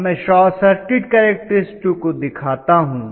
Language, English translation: Hindi, Now I am trying to now look at the short circuit characteristics